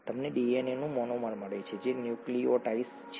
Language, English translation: Gujarati, You get the monomer of DNA which is a nucleotide